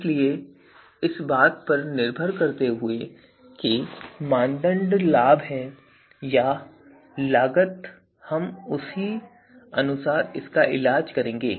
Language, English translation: Hindi, So, depending on whether the criteria is benefit or cost we would be doing it accordingly